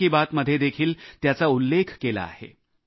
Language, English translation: Marathi, I have touched upon this in 'Mann Ki Baat' too